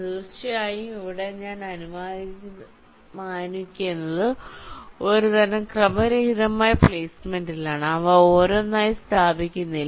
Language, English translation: Malayalam, of course, here i am assuming that i am starting with some kind of a random placement, not placing them one by one